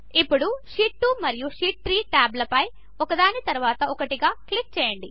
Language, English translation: Telugu, Now click on the Sheet 2 and the Sheet 3 tab one after the other